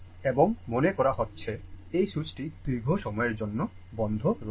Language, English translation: Bengali, And it suppose this switch is closed for long time